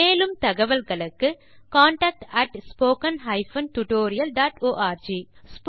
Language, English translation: Tamil, For more details Please write to contact @spoken tutorial.org